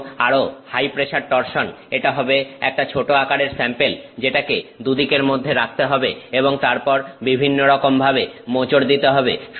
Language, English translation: Bengali, And, even high pressure torsion it will be a small sample which has to be held on two sides and then twisted in several different ways